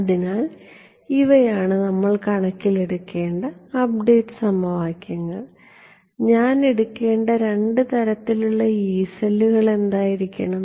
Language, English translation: Malayalam, So, these are the update equations that we need to take into account and what will be the two interesting kind of Yee cells that I have to take